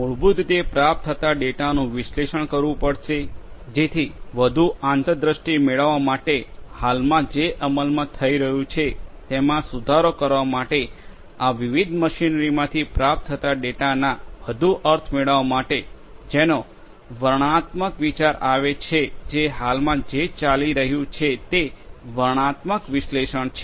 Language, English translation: Gujarati, So, basically the data that are derived that data that are received will have to be analyzed in order to basically you know improve whatever is being executed at present to get more insight, to get more meaning of the data that is being received from this different machinery to get a descriptive idea of what is going on at present that is descriptive analytics